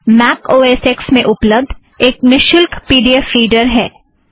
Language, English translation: Hindi, skim is a free pdf reader available for Mac OSX